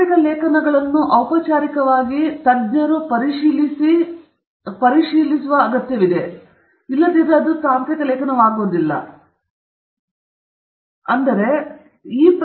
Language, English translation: Kannada, Technical article formally requires the multiple experts to review it to say that it is new work, and that’s how it becomes a technical article, but there is more to it